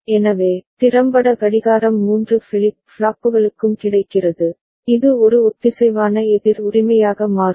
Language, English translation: Tamil, So, effectively the clock is being available to all the three flip flops right which will make it a synchronous counter right